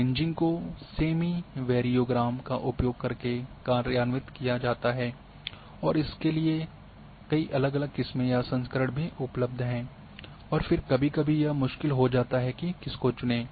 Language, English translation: Hindi, Kriging is implemented using a semi variogram and there are many different varieties or variants of Kriging are also available and again this becomes sometimes difficult which one to choose